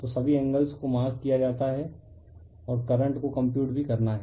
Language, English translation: Hindi, So, all the angles are marked and your current are also computed, right